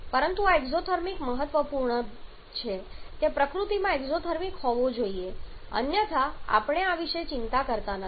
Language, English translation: Gujarati, But this exothermic part is important it has to be exothermic in nature otherwise we do not bother about this